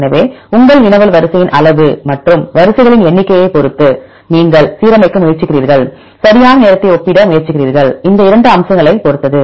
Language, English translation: Tamil, So, your query depends upon the size of the sequence as well as number of sequences, you are trying to align, you are trying to compare right the time depends upon these 2 aspects